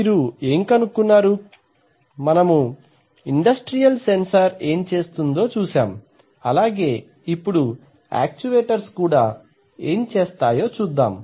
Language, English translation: Telugu, What do you find just like we found did for industrial sensor let us see what we are going to do for the actuators